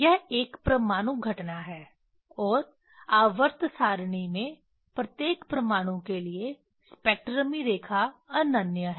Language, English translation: Hindi, This is an atomic event and the spectral line is unique for unique for each atom in periodic table